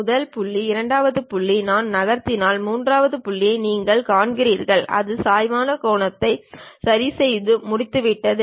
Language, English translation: Tamil, First point, second point, you see third point if I am moving it adjusts it is inclination angle and done